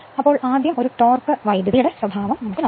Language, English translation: Malayalam, Now, first is a torque current characteristic